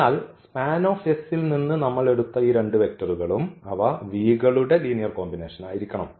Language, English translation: Malayalam, So, these two vectors which we have taken from the span S they must be the linear combination of the v’s